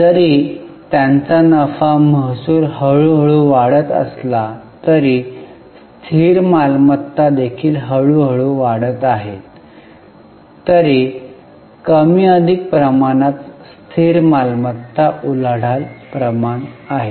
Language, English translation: Marathi, Although their profits, the revenues are increasing slowly, the fixed assets are also increasing slowly